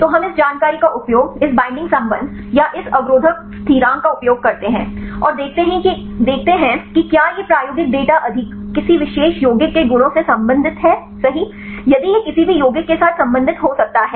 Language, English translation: Hindi, So, we use this information right this binding affinity or this inhibitive constant, and see whether these experimental data right are related with any of the properties of the particular compounds, if this could be related with any compounds right